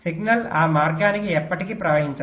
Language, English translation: Telugu, signal will never flow to that path